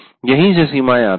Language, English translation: Hindi, And this is where the limitations come